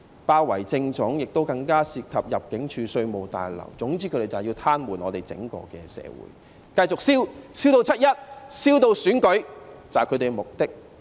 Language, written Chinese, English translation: Cantonese, 包圍政總的行動，更蔓延至入境事務處、稅務大樓，總之他們便是要癱瘓整個社會，繼續燒，燒至"七一"、燒至選舉，這便是他們的目的。, The approach of besieging had even spread from the Central Government Offices to the Immigration and Revenue Towers and their purpose was precisely to paralyse society as a whole and keep the flames burning until 1 July and the elections . This is their purpose . In fact this is a battlefield without gun smoke